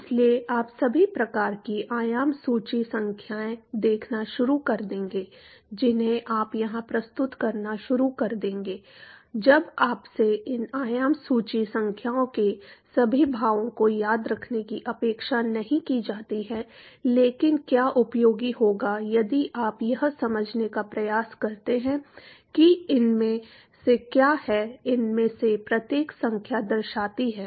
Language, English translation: Hindi, So, you will start seeing all kinds of dimension list numbers that you will start propping up here after you are not expected to remember all the expressions for these dimension list numbers, but what would be useful is if you attempt to understand what does these of each of these numbers signifies